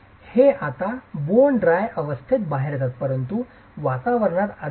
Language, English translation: Marathi, It comes out in a bone dry condition but there is moisture in the atmosphere